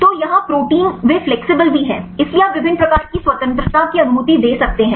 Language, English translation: Hindi, So, here the proteins they are also flexible, so you can allow different degrees of freedom